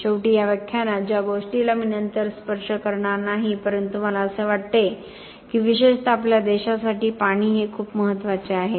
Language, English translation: Marathi, Finally, something that I will not touch up on later in this lecture but I feel that is very important especially for our country is water